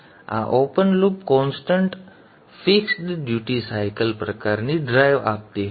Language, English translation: Gujarati, Now this used to give a open loop constant fixed duty cycle kind of a drive